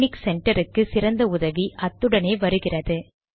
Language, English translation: Tamil, The best help for texnic center comes with it